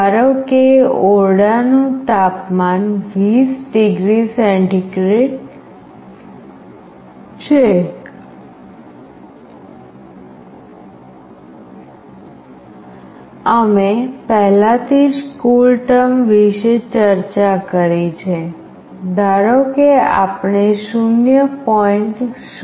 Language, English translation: Gujarati, Suppose, the room temperature is 20 degree centigrade, we have already discussed about CoolTerm; suppose we find the value as 0